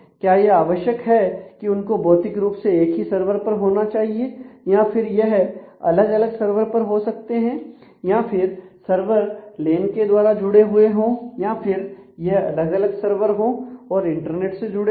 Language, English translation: Hindi, Is it necessary that they will have to be on the same server physically or will they be on can be on different server and servers could be connected through a LAN or they themselves could be on different servers over the internet and may they may be connected through internet